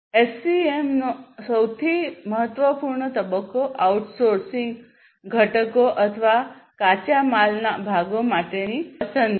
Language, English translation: Gujarati, So, the most important stage in SCM is the selection for outsourcing components or parts of raw material